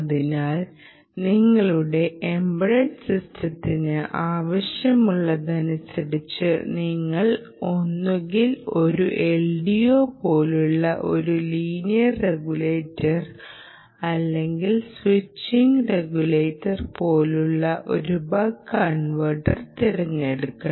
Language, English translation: Malayalam, ok, so, depending on what your embedded system would require, ah, you would either choose a linear l d o or linear regulator, like an l d o, or a a buck converter like ah, the switching regulator, such as the buck converter